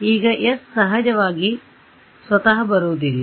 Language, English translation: Kannada, Now s of course does not come by itself